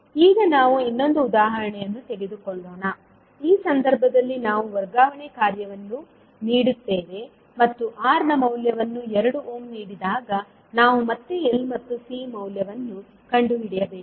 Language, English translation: Kannada, Now let us take another example, in this case we transfer function is given and we need to find out the value of L and C again when the value of R is given that is 2 ohm